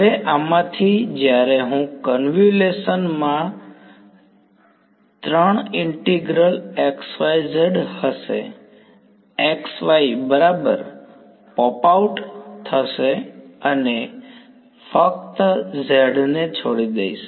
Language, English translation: Gujarati, Now, off these when I this convolution will have 3 integrals xyz; x y will pop out right I will only be left with z right